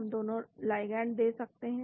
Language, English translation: Hindi, We can give both the ligand